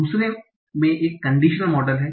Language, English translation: Hindi, In the second one, it's a conditional model